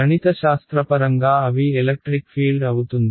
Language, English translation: Telugu, Well mathematically they are the electric fields